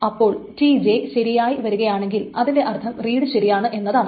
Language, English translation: Malayalam, So if TJ is successful, that means the read is correct, there is no problem with the reading